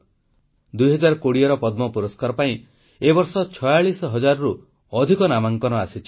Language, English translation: Odia, This year over 46000 nominations were received for the 2020 Padma awards